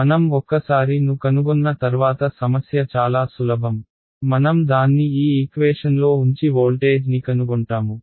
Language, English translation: Telugu, Once I find rho the problem is simple, I will just plug it into this equation and find the voltage